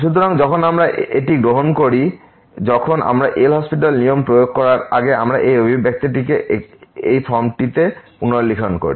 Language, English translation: Bengali, So, when we take this when before we applying the L’Hospital rule we just rewrite this expression in this form